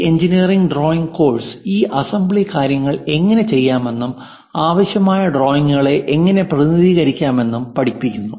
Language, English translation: Malayalam, And our engineering drawing course teach you how to do this assembly things and also how to represent basic drawings